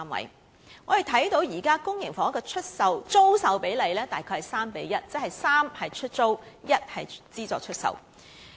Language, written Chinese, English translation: Cantonese, 我們可以看到，現時公營房屋的租售比例約為 3：1， 即3個出租單位對1個資助出售單位。, As we can see the present ratio of rental units to those for sale in public housing is about 3col1 that means three rental units to one subsidized sale flat